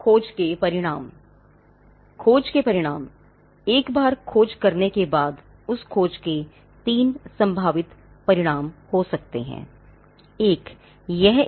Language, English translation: Hindi, Once a search is done, they could be 3 possible outcomes to that search